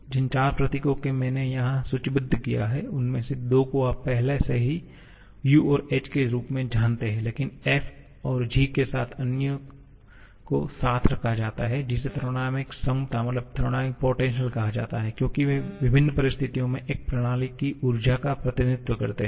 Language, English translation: Hindi, The 4 symbols that I have listed here, two of them are already known to you U and H but other to F and G this put together are called the thermodynamic potentials because they represent the energy of a system under different situations